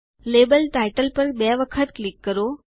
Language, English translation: Gujarati, Double click on the label title